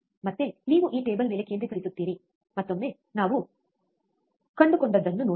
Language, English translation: Kannada, Again, you concentrate on this table, once again, let us see um, what we have found